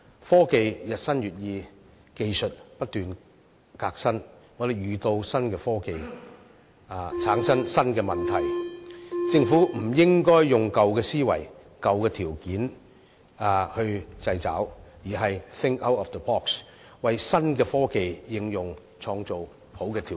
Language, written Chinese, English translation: Cantonese, 科技日新月異，技術不斷革新，當我們遇到新科技時，會產生新的問題，政府不應該以舊思維、舊條例作出掣肘，而是要 "think out of the box"， 為新科技的應用創造好的條件。, As technology advances rapidly and evolves continuously we face new problems when we come across new technologies . The Government should not impose restrictions with its old mindset or obsolete legislation . Instead it should think out of the box and create good conditions for the application of new technologies